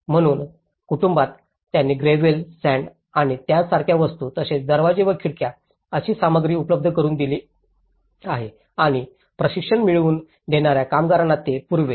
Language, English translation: Marathi, So, in family they have provided the materials like the gravel, sand and things like that and also the doors and windows and they also provided the labour which got training later on